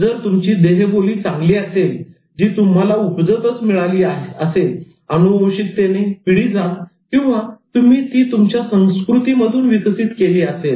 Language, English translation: Marathi, So if you have good body language, is it something that is given to you by birth, by heredity, by gene, or is it something that you developed from the culture